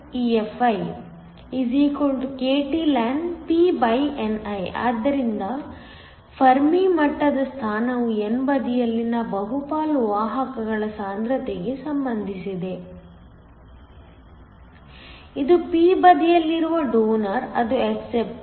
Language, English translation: Kannada, So, The position of the Fermi level is related to the concentration of the majority carriers on the n side, it is your donors on the p side it is the acceptors